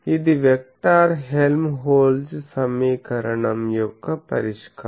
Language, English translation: Telugu, So, this is a solution of the vector Helmholtz equation